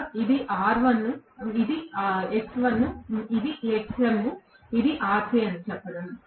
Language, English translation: Telugu, Like this, saying that this is R1, this is X1, this is Xm, this is Rc, yes